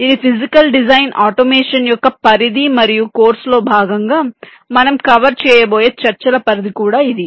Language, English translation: Telugu, ok, this is this scope of physical design automation and this is the scope of the discussions that we are expected to cover as part of this course